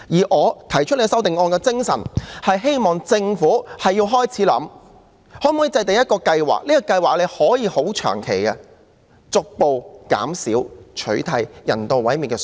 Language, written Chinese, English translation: Cantonese, 我提出修正案的精神，是希望政府開始想想可否制訂一項長期計劃，以逐步減少、取締人道毀滅的做法。, The aim of the amendment proposed by me is to voice the hope that the Government will start to consider if a long - term plan can be formulated to gradually reduce the emphasis on or phase out the measure of euthanasia